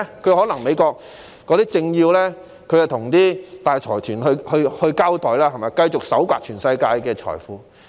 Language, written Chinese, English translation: Cantonese, 可能美國有政要要向大財團交代，因此他們繼續從全球搜刮財富。, Perhaps certain political figures in the United States have to be answerable to large consortia so they have continued to reap a fortune from around the world